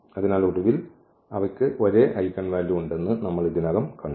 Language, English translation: Malayalam, So, eventually we have seen already that they have the same eigenvalue